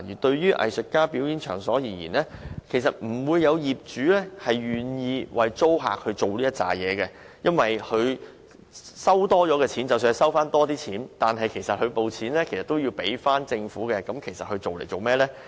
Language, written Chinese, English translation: Cantonese, 對於藝術家表演場所而言，業主往往不會願意為租客辦理上述手續，因為即使因此多收取了金錢，隨後亦要繳交政府，又為何要花工夫呢？, Most owners are reluctant to undergo these procedures to enable their tenants to run arts performing venues in the industrial buildings because the higher rents from the venue operation will be foregone by the substantial forbearance fees . So it is just not worth the hassle